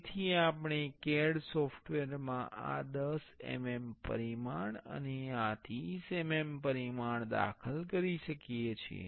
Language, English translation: Gujarati, So, we can enter this 10 mm dimension and this 30 mm dimension in the CAD software